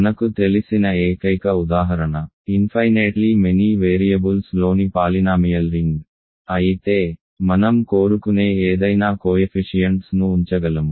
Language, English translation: Telugu, The only example we know is the polynomial ring in infinitely many variables which of course, I can put coefficients to be anything I want